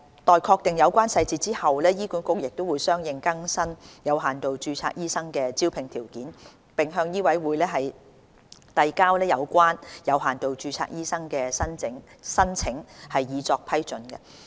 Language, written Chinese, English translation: Cantonese, 待確定有關執行細節後，醫管局會相應更新有限度註冊醫生的招聘條件，並向醫委會遞交有關的有限度註冊醫生申請，以作批准。, Upon finalization of the details HA will update the recruitment conditions of limited registration doctors accordingly and submit relevant limited registration applications to MCHK for approval